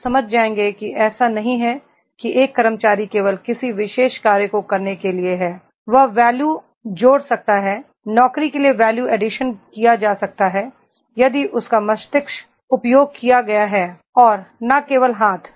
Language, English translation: Hindi, You will understand that is it is not an employee is not only for doing a particular job, he can add the value, value addition to the job can be done if his brain has been used and not only the hands